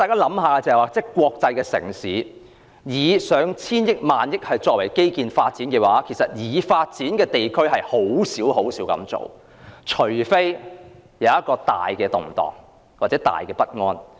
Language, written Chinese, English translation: Cantonese, 以國際城市來說，花上千億元或萬億元在基建發展，在已發展地區中實屬少數，除非國內出現很大的動盪或不安。, Among the developed regions it is indeed rare for an international city to spend hundreds or even thousands of billions of dollars on infrastructure development unless the country experiences serious turbulence or unrest